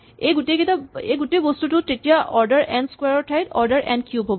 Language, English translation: Assamese, And so this whole thing becomes order n cubed and not order n square